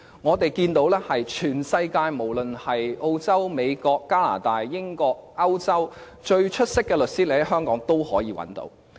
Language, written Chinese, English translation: Cantonese, 我們看見全世界，無論是澳洲、美國、加拿大、英國和歐洲最出色的律師均可在香港找到。, We can see that Hong Kong has the best lawyers from around the world regardless of whether they come from Australia the United States Canada the United Kingdom or Europe